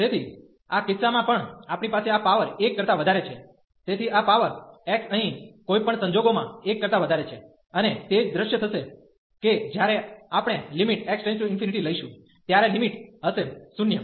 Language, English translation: Gujarati, So, in this case also we have this power greater than 1, so this power x here is greater than 1 in any case, and the same scenario will happen that when we take the limit x approaches to infinity, the limit will be 0